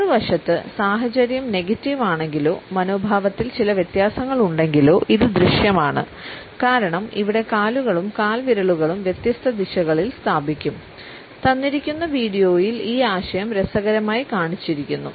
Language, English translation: Malayalam, On the other hand, if the instance is negative or there is certain diffidence in the attitude it is also perceptible because the feet and torso would be positioned in different directions; this idea is interestingly shown in the given video